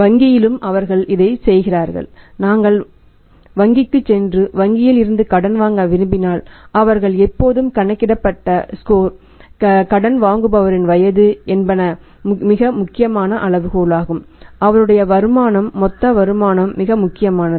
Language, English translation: Tamil, In the bank also they are doing like this that when we go to the banks and like to borrow the money from the bank they always in calculator score age is the age of the borrower is a very important criteria his income total income is also very important criterion number of dependents on him is very important criteria